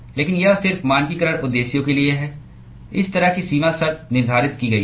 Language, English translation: Hindi, But it is just for standardization purposes such kind of boundary condition has been prescribed